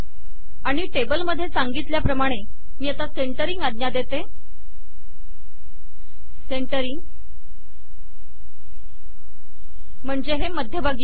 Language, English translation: Marathi, as in the table I can say centering, which will center this at the middle